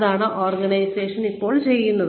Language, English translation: Malayalam, This is what organizations, are now doing